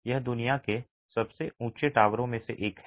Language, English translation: Hindi, It is one of the tallest towers in the world